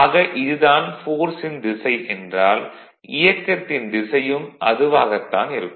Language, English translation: Tamil, So, this is the direction of the force and naturally this is the direction of the motion right